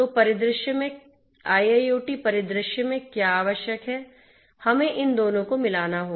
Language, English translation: Hindi, So, what is required is in an IIoT scenario, we have to converge these two